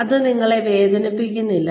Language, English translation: Malayalam, It does not hurt you